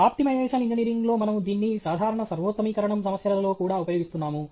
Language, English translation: Telugu, In optimization engineering, we are using this in regular optimization problems also